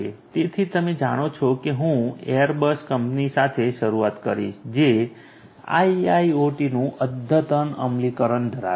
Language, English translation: Gujarati, So, you know I will start with the Airbus company which has state of the art you know implementation of IIoT